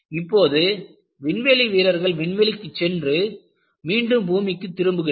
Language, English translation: Tamil, See, now you find people go to space and come back to earth